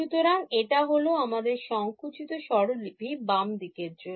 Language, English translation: Bengali, So, this is our shorthand notation for the left hand side